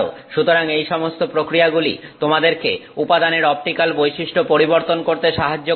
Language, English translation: Bengali, So, all of these processes will help you change the optical property of the material